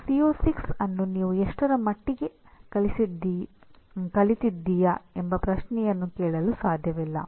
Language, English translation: Kannada, You cannot ask a question to what extent have you learnt CO6